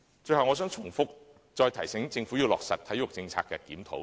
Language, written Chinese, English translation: Cantonese, 最後，我想再重複提醒政府要落實對體育政策的檢討。, Lastly I would like to remind the Government again that a review of the sports policy must be conducted